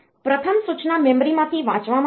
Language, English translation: Gujarati, First, the instruction will be read from the memory